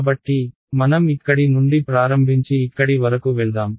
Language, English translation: Telugu, So, let us start from here and go all the way up to here